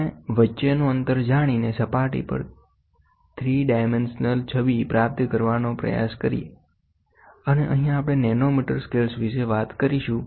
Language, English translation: Gujarati, And knowing the distance between try to superimpose and try to get a images a 3 dimensional image of the surface, and here we talk about a nanometer scales